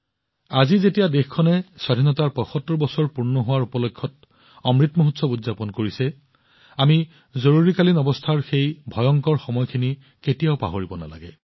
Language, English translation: Assamese, Today, when the country is celebrating 75 years of its independence, celebrating Amrit Mahotsav, we should never forget that dreadful period of emergency